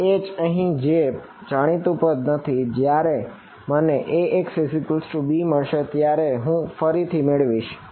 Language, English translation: Gujarati, This H over here which has the unknown term I will move it back to when I get Ax is equal to b